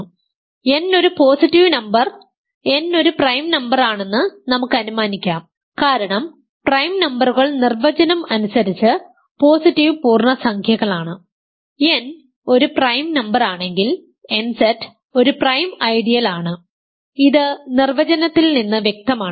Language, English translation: Malayalam, So, let us assume n is a positive number n is a prime number because prime numbers are by definition positive integers then nZ is a prime ideal if n is a prime number then nZ is a prime ideal this is clear from the definition